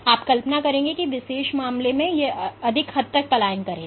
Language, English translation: Hindi, So, you would imagine that in this particular case the cell would migrate to a greater extent compared to this case